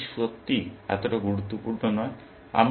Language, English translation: Bengali, So, that is not really so important